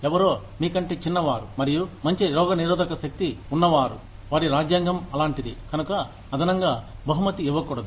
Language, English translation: Telugu, Somebody, who is younger, and who has a better immune system, than you, just because, their constitution is such, should not be rewarded, additionally